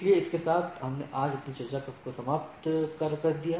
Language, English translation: Hindi, So, with this we let us end our discussion today